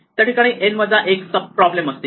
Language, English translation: Marathi, There are n minus 1 sub problems